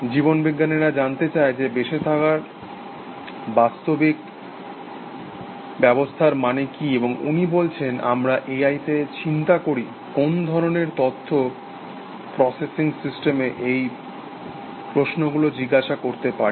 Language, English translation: Bengali, Biologists ask, what it means to be a physical system to be living, and he says we in A I wonder, what kind of information processing system can ask this such questions essentially